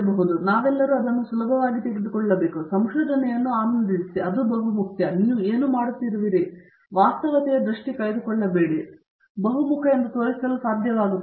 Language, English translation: Kannada, So, I think we all have to take it easy, enjoy the research, do what you are doing, don’t lose sight of realities, be able to project that you are versatile